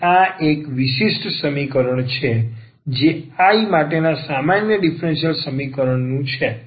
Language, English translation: Gujarati, So, this is a differential equation the ordinary differential equation for I